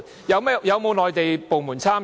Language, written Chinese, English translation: Cantonese, 有否內地部門參與？, Has any Mainland department been involved?